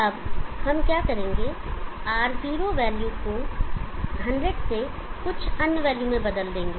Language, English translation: Hindi, What we shall now do is change the value of R0 from 100 to some other value